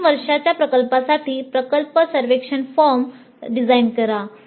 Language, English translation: Marathi, Design a project survey form for the final year project